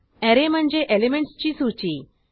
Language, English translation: Marathi, Array: It is a list of elements